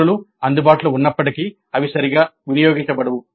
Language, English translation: Telugu, Even though resources are available they are not utilized properly